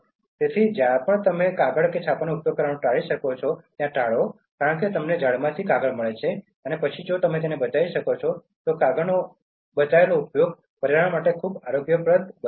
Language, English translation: Gujarati, So, wherever you can avoid making use of paper and printing, because you get paper from trees and then if you can save, so this paper usage so that is also making the environment very healthy